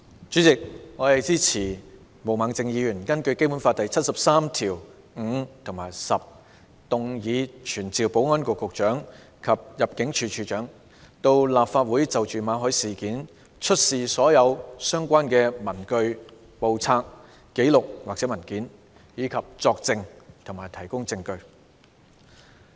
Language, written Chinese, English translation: Cantonese, 主席，我支持毛孟靜議員根據《基本法》第七十三條第五項及第十項動議的議案，傳召保安局局長及入境事務處處長到立法會就馬凱事件出示所有相關的文據、簿冊、紀錄或文件，以及作證和提供證據。, President I support the motion moved by Ms Claudia MO under Article 735 and 10 of the Basic Law to summon the Secretary for Security and the Director of Immigration to attend before the Council to produce all relevant papers books records or documents and to testify or give evidence in relation to the Victor MALLET incident